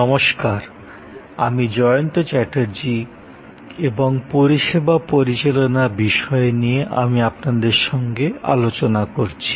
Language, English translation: Bengali, Hello, I am Jayanta Chatterjee and I am interacting with you on Managing Services